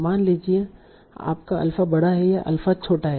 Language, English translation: Hindi, Suppose your alpha is large versus alpha is small